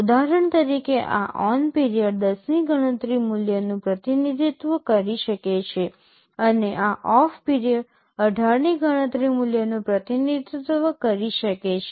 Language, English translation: Gujarati, Like for example, this ON period can represent a count value of 10, and this OFF period can represent a count value of 18